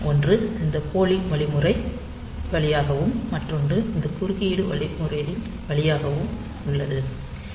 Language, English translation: Tamil, So, one is via this polling mechanism, another is via this interrupt mechanism